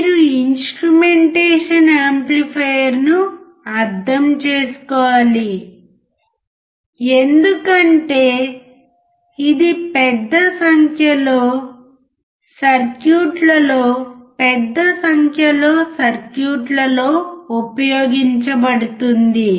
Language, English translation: Telugu, You have to understand instrumentation amplifier because it is used in large number of circuits, large number of circuits